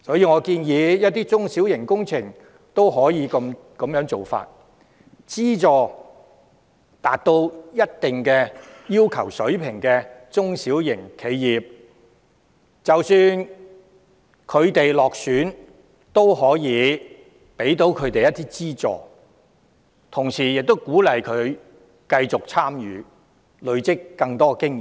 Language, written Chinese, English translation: Cantonese, 我建議對於一些中小型工程，政府亦可這樣做，資助達到一定水平要求的中小企，即使落選也可以給他們一點資助，同時可鼓勵他們繼續參與，累積更多經驗。, I suggest that the Government adopt this approach in small and medium projects by subsidizing SMEs which have reached a certain standard . Unsuccessful candidates should still be given some subsidies to incentivize them to continue to take part and accumulate more experience along the way